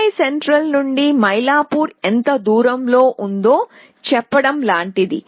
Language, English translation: Telugu, So, it is like saying how far Mailapur from Chennai central